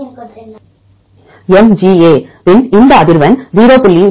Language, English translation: Tamil, MGA is given as 0